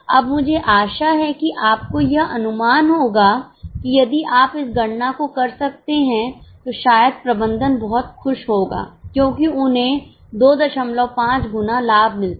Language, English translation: Hindi, Now I hope you would have got that if you can make this calculation, perhaps management will be very happy because they get 2